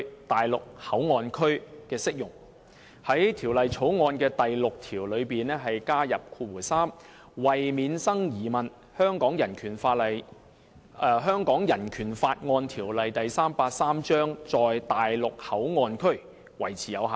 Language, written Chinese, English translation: Cantonese, 他於《廣深港高鐵條例草案》的第6條加入新訂第3款，以訂明﹕為免生疑問，《香港人權法案條例》在內地口岸區維持有效。, 383 BORO be applicable to the Mainland Port Area MPA . He adds new subclause 3 to clause 6 of the Guangzhou - Shenzhen - Hong Kong Express Rail Link Co - location Bill the Bill to stipulate that to avoid doubt the Hong Kong Bill of Rights Ordinance Cap . 383 remains in force in MPA